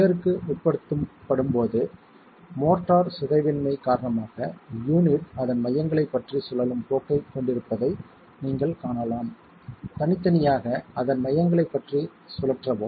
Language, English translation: Tamil, When subjected to shear, you can see that because of the deformability of the motor, the unit has a tendency to rotate about its centers, individually rotate about its centers